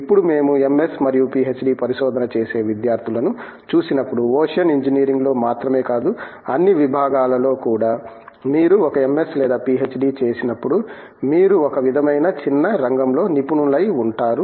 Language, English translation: Telugu, Now, when we look at MS and PhD research type of students, there is always this feeling, in not just in ocean engineering across all disciplines that when you an MS or a PhD you are an expert in an sort of narrow area